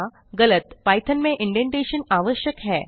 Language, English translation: Hindi, Indentation is essential in python